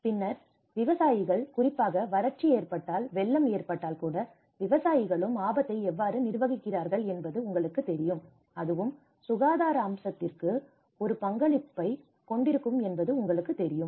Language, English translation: Tamil, Then, the farmers risk management especially in the event of droughts, even the event of floods, how the farmers also manage the risk, you know that will also have a contribution to the health aspect